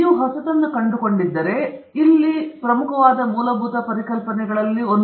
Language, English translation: Kannada, So, if you have found something new, so that’s one of the important underlying concepts here